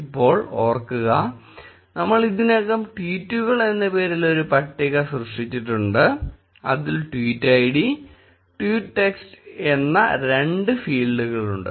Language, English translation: Malayalam, Now, remember we have already created a table named tweets which had two fields tweet id and text